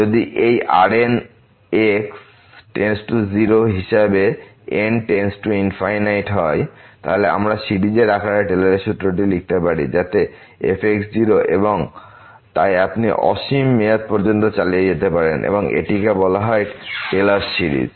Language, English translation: Bengali, If this reminder goes to 0 as goes to infinity then we can write down that Taylor’s formula in the form of the series so and so on you can continue for infinite term and this is called the Taylor series